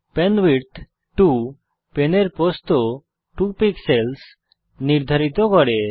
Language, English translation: Bengali, penwidth 2 sets the width of pen to 2 pixels